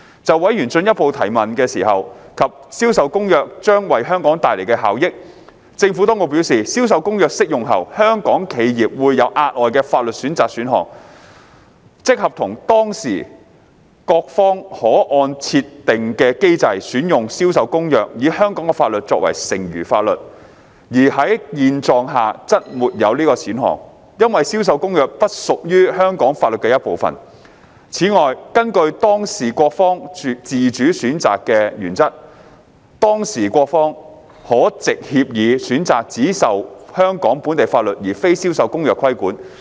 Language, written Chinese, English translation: Cantonese, 就委員進一步提問時，問及《銷售公約》將為香港帶來的效益，政府當局表示，《銷售公約》適用後，香港企業會有額外的法律選擇選項，即合同當事各方可按設定的機制選用《銷售公約》，以香港法律作為剩餘法律，而在現狀下則沒有此選項，因為《銷售公約》不屬於香港法律的一部分。此外，根據當事各方自主選擇的原則，當事各方可藉協議選擇只受香港本地法律而非《銷售公約》規管。, In response to further questions from members on the benefits that CISG would bring to Hong Kong the Administration advised that Hong Kong businesses would have an additional choice of law option after the application of CISG namely utilizing CISG as designed with Hong Kong law used as its residual law ; alternatively parties can choose to be governed solely by local Hong Kong law rather than CISG under the fundamental principle of Party autonomy